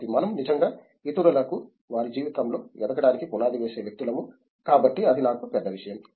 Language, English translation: Telugu, So, we are someone who actually puts the foundation for others to actually arise up in their life, so that is one thing which I have